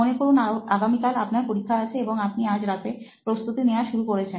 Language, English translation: Bengali, Imagine you have an examination the next day and just previous night you are starting your preparation